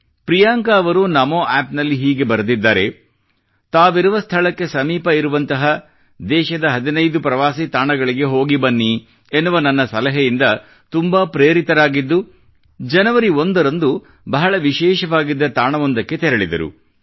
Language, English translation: Kannada, Priyanka ji has written on Namo App that she was highly inspired by my suggestion of visiting 15 domestic tourist places in the country and hence on the 1st of January, she started for a destination which was very special